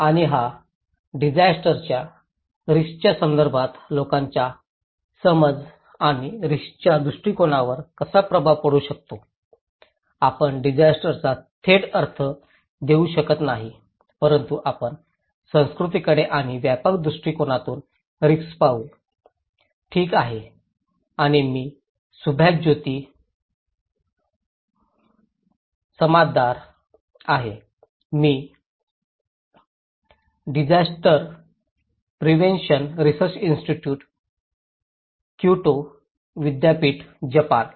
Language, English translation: Marathi, And how it may influence people's perception and perspective of risk in our context this disaster risk, we may not give a direct connotations of disaster but we will look into culture and risk from a broader perspective, okay and I am Subhajyoti Samaddar, I am from Disaster Prevention Research Institute, Kyoto University, Japan